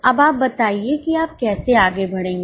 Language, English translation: Hindi, Now, tell me how will you proceed